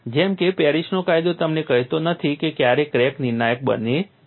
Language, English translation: Gujarati, As such Paris law does not tell you when the crack becomes critical